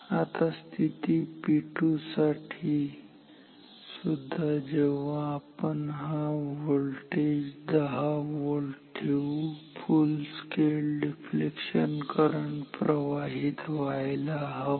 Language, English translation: Marathi, Now, similarly for position P 2, we want when this voltage applied is 10 volt full scale current full scale deflection current should flow